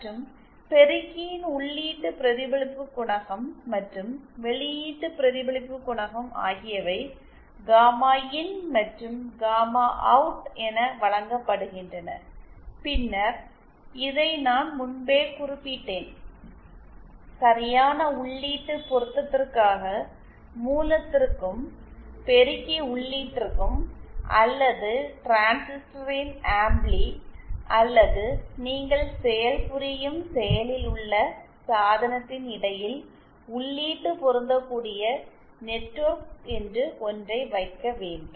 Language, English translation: Tamil, And the input reflection coefficient and the output reflection coefficient of the amplifier are given gamma in and gamma OUT and then I had also mentioned this earlier that for proper input matching we need to place something called input matching network between the source and the amplifier input of the of the transistor or the active device that you are working